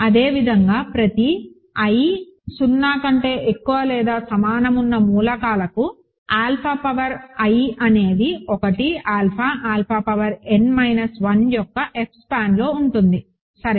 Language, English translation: Telugu, And similarly, alpha power i is in F span of 1, alpha, alpha power n minus 1 for all i greater than equal to 0, ok